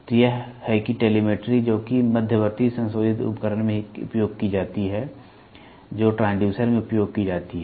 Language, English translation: Hindi, So, this is how telemetry which is used in intermediate modifying device which is used in transducers